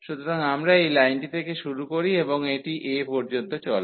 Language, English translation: Bengali, So, we starts from this line and it goes up to a